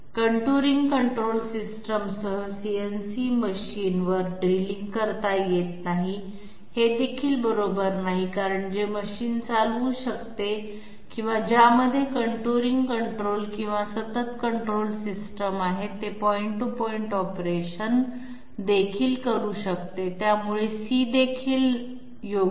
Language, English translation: Marathi, Drilling cannot be done on CNC machine with contouring control system, this is also not correct because machine which can carry out or which has contouring control or continuous control system, it can also carry out point to point operations, so C is also not correct